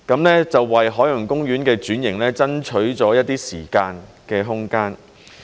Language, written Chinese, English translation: Cantonese, 那就為海洋公園的轉型爭取了一些時間和空間。, This has allowed some time and room for OP to carry out transformation